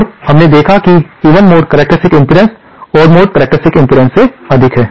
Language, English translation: Hindi, And we saw that the even mode characteristic impedance is greater than the odd mode characteristic impedance